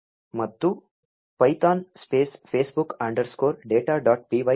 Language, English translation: Kannada, And python space facebook underscore data dot p y enter